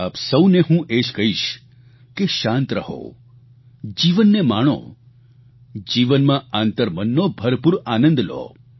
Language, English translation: Gujarati, All I would like to say to you is 'Be calm, enjoy life, seek inner happiness in life